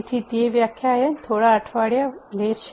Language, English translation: Gujarati, So, that takes quite a few weeks of lecture